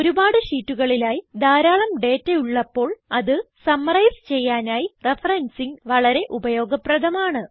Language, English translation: Malayalam, Referencing can be very useful to summarise data if there are many sheets, with a lot of data content